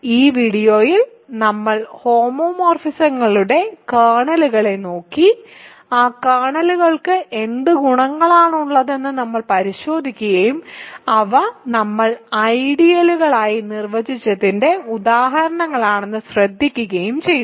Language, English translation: Malayalam, So, in this video we looked at kernels of homomorphisms, we looked at what properties those kernels have and noticed that they are examples of what we defined as ideals